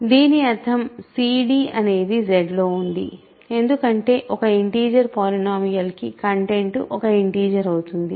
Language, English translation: Telugu, This means cd is in Z, right because content is a for an integer polynomial content is an integer